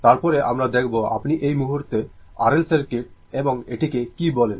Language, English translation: Bengali, Then, we will see that your what you call that R L circuit and this right now